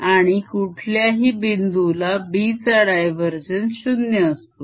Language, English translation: Marathi, it is divergence of b, which is always zero